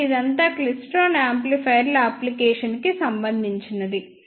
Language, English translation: Telugu, So, this is all about the applications of klystron amplifiers